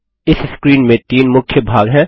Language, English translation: Hindi, This screen is composed of three main sections